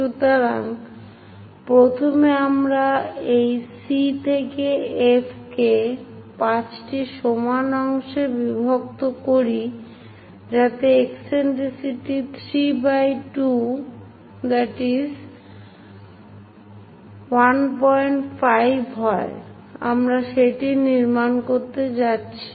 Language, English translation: Bengali, So, first, we divide this C to F into 5 equal parts in such a way that eccentricity 3 by 2 are 1